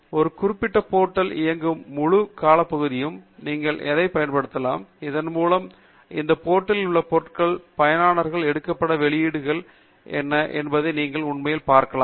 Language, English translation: Tamil, You can also use it across the entire period over which this particular portal was running, so that you can actually see what are the publications that are picked up by most of the users on this portal